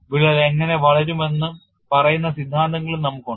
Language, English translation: Malayalam, They also have theories that say how the crack will grow